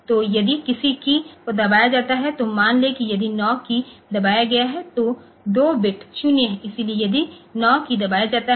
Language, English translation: Hindi, So, if any key is pressed since say suppose this 9 key has been pressed the senses are 2 bit is 0